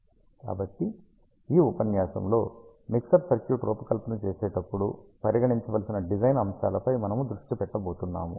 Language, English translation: Telugu, So, in this lecture, we are going to focus on the design aspects that have to be considered while designing a mixer circuit